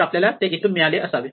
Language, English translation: Marathi, So, we must have got it from here